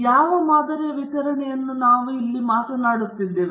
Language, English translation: Kannada, What sampling distribution are we talking to here